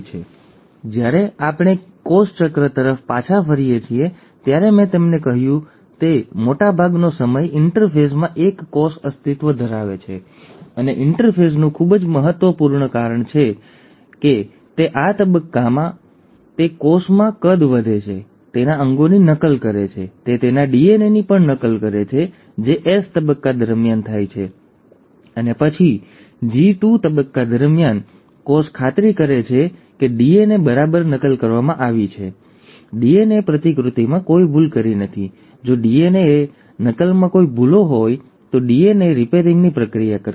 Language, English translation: Gujarati, So, when we go back to cell cycle, I told you that majority of the time, a cell exists in the interphase; and the interphase is of very huge importance because it is during this stage that the cell grows in size, duplicates its organelles, it also ends up duplicating its DNA, which happens during the S phase, and then during the G2 phase, the cell ensures that the DNA has been copied exactly, there are no errors in DNA replication, if at all there are any errors in, errors in DNA replication, the process of DNA repair will take place